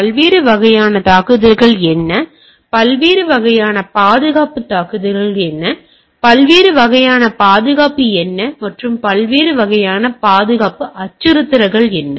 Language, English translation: Tamil, What are the different types of attack, what are the different types of security attack, what are the different types of security concerns, and what are the different types of security threats, right